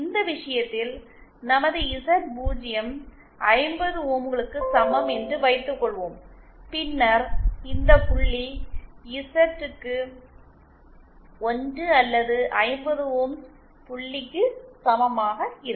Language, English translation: Tamil, In this case suppose our Z0 is equal to 50 ohms, then this point will correspond to Z equal to 1 or the 50 ohms point